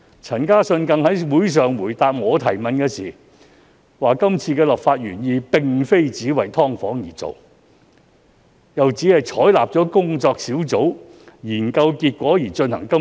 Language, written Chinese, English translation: Cantonese, 陳嘉信於會上回答我的提問時，更說是次修例原意並非只為"劏房"而做，又指當局採納了工作小組研究結果而進行修例。, In response to my enquiry at the meeting Carlson CHAN has even claimed that the legislative amendments were not originally intended for SDUs only and that the authorities had adopted the findings of the Task Force in amending the laws